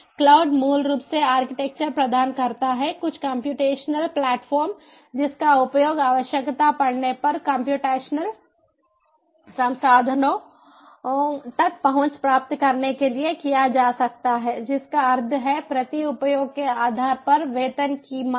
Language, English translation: Hindi, cloud basically provides an architecture, some computational platform, which can be used on demand to get access to computational resources whenever required